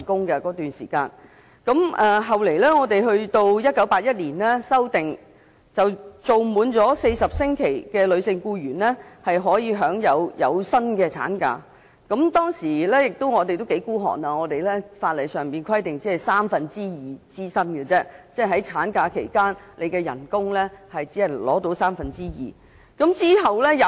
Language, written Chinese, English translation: Cantonese, 後來，《僱傭條例》在1981年進行修訂，連續受僱滿40星期的女性僱員，可享有薪產假，但當時法例規定產假只支薪三分之二，即產假期間僱員只獲支付三分之二的薪金。, After a legislative amendment of the Employment Ordinance in 1981 a female employee under continuous employment for not less than 40 weeks was entitled to maternity leave pay at the rate of two thirds of her wages meaning employees were only paid two thirds of their wages during the maternity leave period